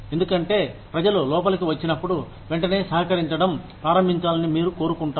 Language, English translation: Telugu, Because, you want people to immediately start contributing, when they come in